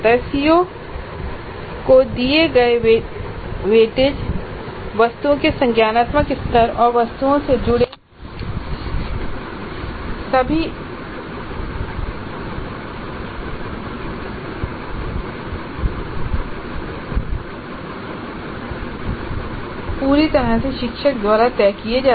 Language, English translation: Hindi, The weight is given to the concerned COs, the cognitive levels of items and the marks associated with items are completely decided by the teacher